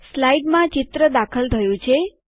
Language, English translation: Gujarati, The picture gets inserted into the slide